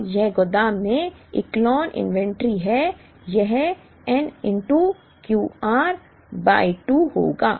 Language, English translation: Hindi, Now, this is Echelon inventory at the warehouse this will be n into Q r by 2